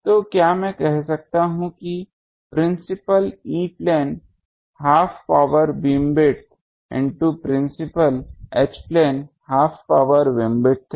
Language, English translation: Hindi, So, can I say that principal E plane half power beamwidth into principal H plane half power beamwidth